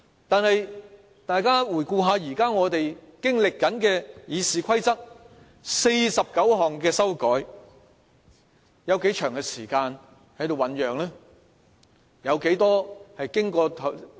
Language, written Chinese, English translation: Cantonese, 可是，大家回顧我們現正經歷的對《議事規則》49項修改用了多長的時間醞釀？, However in the case of the 49 amendments to the Rules of Procedure now for how long have we mulled over them?